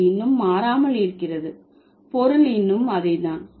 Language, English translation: Tamil, It still remains the same, the meaning is still same